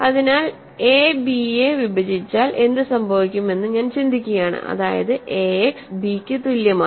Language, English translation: Malayalam, So, I am just working out what happens if a divides b that means, ax is equal to b, right